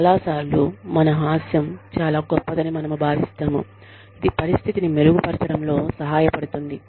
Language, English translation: Telugu, Many times, we think, our sense of humor is so great, that it can help improve the situation